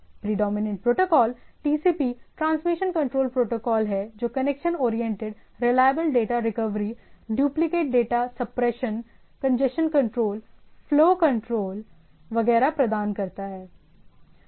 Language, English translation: Hindi, The predominant protocol is TCP or transmission control protocol which provides connection orientated reliable data recovery, duplicate data suppression, congestion control, flow control and so on so forth